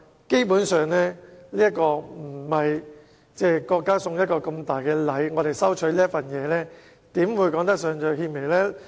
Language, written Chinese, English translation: Cantonese, 基本上，我們收取國家送我們的一份大禮，怎說得上是獻媚？, How can one say that receiving a big gift from our country is toadying to the Central Authorities?